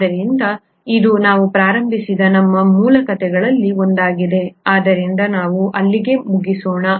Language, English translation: Kannada, So this is this is one of our base stories with which we started out, so let’s finish up there